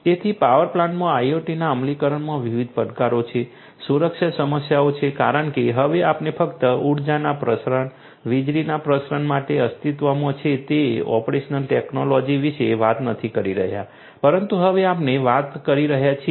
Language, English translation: Gujarati, So, there are different challenges of implementation of IIoT in a power plant, there are security issues because now we are not just talking about the operational technology that has been existing the transmission of energy, the transmission of electricity, but now we are also talking about transmission of information, transmission of data that is collected